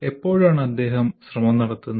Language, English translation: Malayalam, When does he put the effort